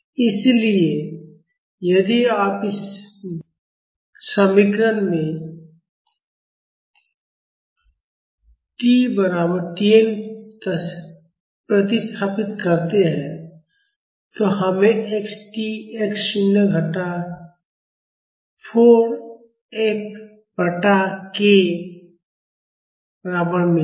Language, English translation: Hindi, So, if you substitute t is equal to T n in this expression, we would get x of t is equal to x naught minus 4 F by k